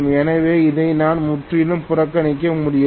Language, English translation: Tamil, So I cannot completely neglect this or this